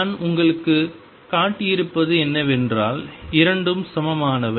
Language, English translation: Tamil, And what I have shown you is that both are equivalent both are equivalent